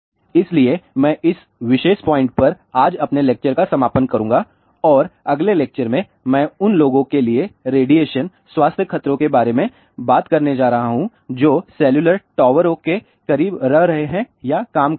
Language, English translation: Hindi, So, I will conclude my lecture today at this particular point and in the next lecture I am going to talk about radiation health hazards to the people who are living or working close to the cellular towers